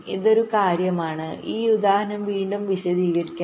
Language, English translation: Malayalam, let me explain this example again